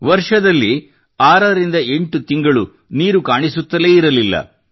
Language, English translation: Kannada, 6 to 8 months a year, no water was even visible there